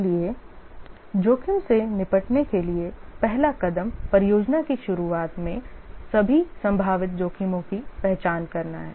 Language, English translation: Hindi, So, the first step in dealing with a risk is to identify all possible risk at the start of the project